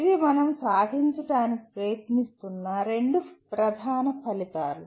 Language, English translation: Telugu, These are the two major outcomes that we are trying to attain